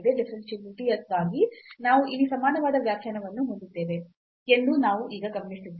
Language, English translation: Kannada, So, we have observed now that for the differentiability we have the equivalent definition here